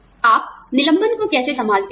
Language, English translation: Hindi, How do you handle layoffs